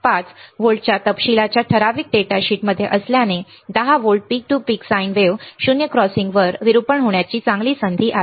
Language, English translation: Marathi, 5 volts specification right in the datasheet there is a good chance that 10 volts peak to peak sine wave will have a distortion at 0 crossings